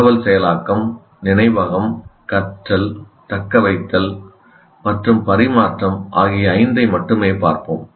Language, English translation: Tamil, We'll only look at these five, namely information processing, memory, learning, retention, and transfer